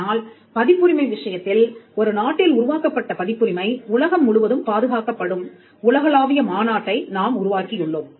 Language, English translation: Tamil, But in the case of copyright we have a much more evolved global convention where copyright created in one country is protected across the globe